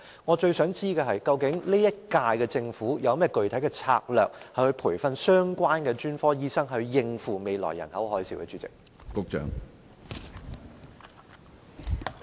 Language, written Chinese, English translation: Cantonese, 我最想知道的是，究竟本屆政府有何具體策略培訓相關的專科醫生，以應付未來的"人口海嘯"呢？, What I want to know most of all is what specific strategies the present - term Government has to train the said specialists so as to cope with the future population tsunami?